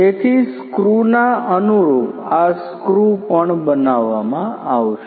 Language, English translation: Gujarati, So, this screw similar kinds of screws will also be made